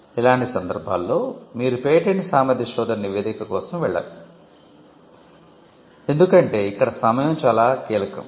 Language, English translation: Telugu, In all these cases you would not go in for a patentability search report, because timing could be critical